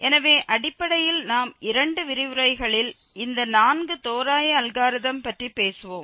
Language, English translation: Tamil, So, basically these four approximations algorithm will be talking about in this in two lectures